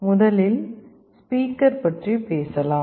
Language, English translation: Tamil, First let us talk about a speaker